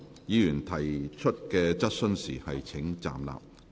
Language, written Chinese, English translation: Cantonese, 議員提出質詢時請站立。, Members will please stand up when asking questions